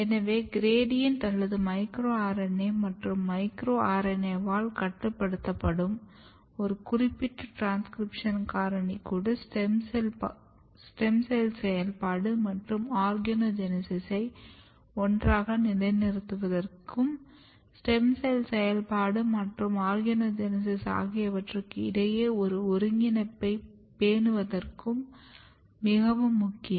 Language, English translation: Tamil, So, even the gradient or the amount of micro RNA and a particular transcription factor which is regulated by micro RNA are very important in positioning the stem cell activity and organogenesis together and maintaining a coordination between stem cell activity as well as organogenesis